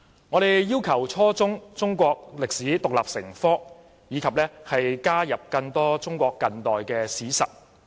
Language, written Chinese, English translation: Cantonese, 我們要求初中中史獨立成科，以及加入更多中國近代史實。, We demand the teaching of Chinese history as an independent subject and the inclusion of more historical facts on modern China